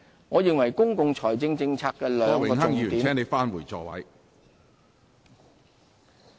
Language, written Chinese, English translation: Cantonese, 我認為公共財政政策的兩個重點......, I believe that the two objectives of our fiscal policy are